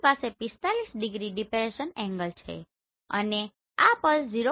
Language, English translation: Gujarati, We have depression angle of 45 degree and this pulse over a duration of 0